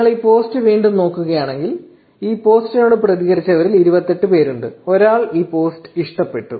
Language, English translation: Malayalam, So, if you look again this post, there are 28 people in all who have reacted to this post, and one person has loved this post